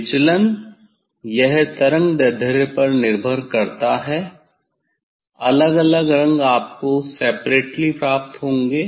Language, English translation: Hindi, deviation it depends on the wavelength different colour you will get separately